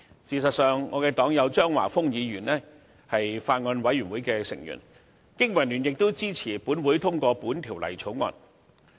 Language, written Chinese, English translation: Cantonese, 事實上，我的黨友張華峰議員是有關法案委員會成員，經民聯亦支持本會通過《條例草案》。, As a matter of fact my party comrade Mr Christopher CHEUNG is a member of the relevant Bills Committee . BPA supports the passage of the Bill by this Council